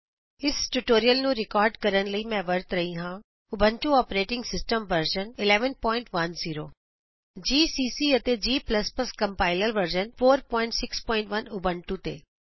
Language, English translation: Punjabi, To record this tutorial, I am using, Ubuntu operating system version 11.10 gcc and g++ Compiler version 4.6.1 on Ubuntu